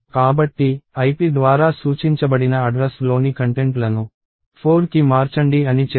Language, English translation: Telugu, So, it says change the contents of the address that is pointed by ip to 4